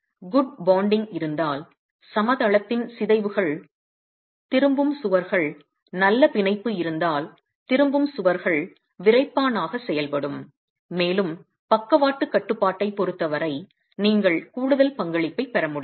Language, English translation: Tamil, If there is good bonding, then the out of plane deformations, the wall with its return walls, if there is good bonding, then the return walls are going to be acting as stiffeners and you would be able to get a further contribution as far as lateral restraint is concerned